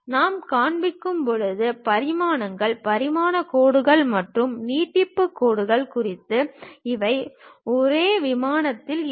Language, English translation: Tamil, Regarding dimensions when we are showing, dimension lines and extension lines; these shall be on the same plane